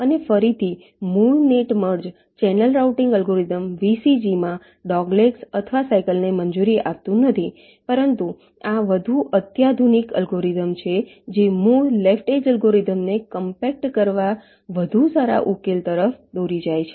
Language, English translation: Gujarati, and again, the basic net merge channel routing algorithm does not allow doglegs or cycles in the vcg, but this is the more sophisticate kind of a algorithm that leads to better solution, as compact to the basic left ed[ge] algorithm